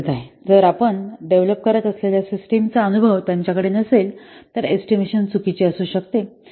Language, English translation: Marathi, But if the experts they don't have experience of the system that you are developing, then the estimation may be wrong